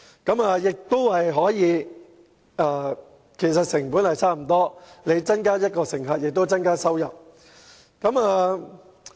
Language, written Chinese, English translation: Cantonese, 由於所涉及的額外成本不多，故此增加1位乘客，亦可以增加收入。, Since the proposal will not incur high additional costs increasing the number of passengers can increase income